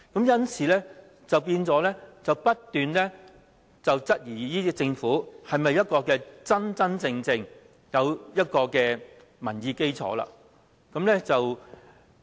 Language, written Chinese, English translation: Cantonese, 因此，市民不斷質疑這個政府是否一個真真正正有民意基礎的政府。, Hence they keep on questioning if this Government really has the public mandate